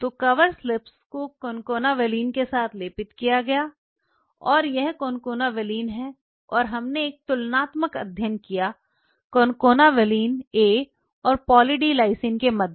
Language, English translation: Hindi, So, the cover slips were all coated with concana valine and this is concana valine and we made a comparative study concana valine A versus Poly D Lysine